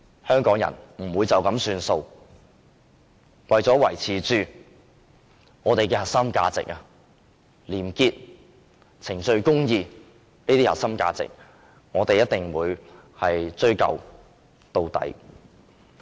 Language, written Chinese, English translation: Cantonese, 香港人不會就此作罷，為了維持本港廉潔、程序公義的核心價值，我們一定會追究到底。, Hong Kong people will not let go of the matter; we will definitely pursue the matter to the very end to uphold the core values of probity and due process in Hong Kong